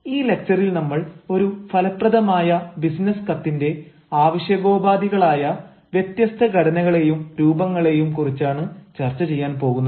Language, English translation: Malayalam, in this lecture, we are going to talk about the various formats and then also the style that are the requisites of an effective business letter